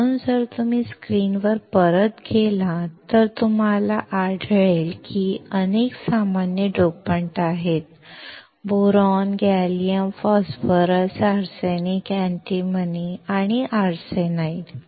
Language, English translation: Marathi, So, if you go back to the screen, you will find that there are several common dopants: Boron, Gallium, Phosphorus, Arsenic, Antimony and Arsenide